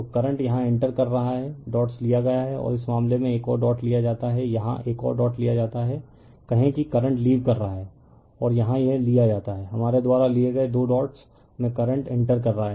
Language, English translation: Hindi, So, current is entering here is dot is taken right and in this case you are what you call another dot is taken here another dot is taken here right, say current is your what you call leaving and here it is taken that current is entering this 2 dots we have taken